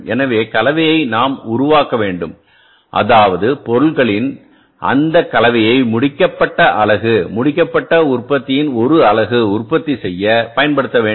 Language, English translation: Tamil, So, it means we have to create a mix of the materials to use that mix for manufacturing the finished unit, one unit of the finished product